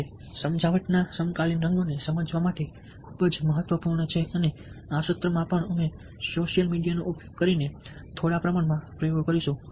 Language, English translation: Gujarati, now the contemporary colors of persuasion ah are very, very important to realize, and this lesson also will be doing a few experiments using social experiments, using social media